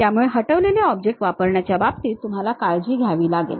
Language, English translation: Marathi, So, you have to be careful in terms of using delete object